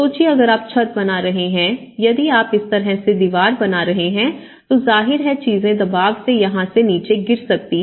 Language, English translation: Hindi, Imagine if you are making a roof like if you are making a wall like this, obviously the pressure acts this way and as things might tend to fall down here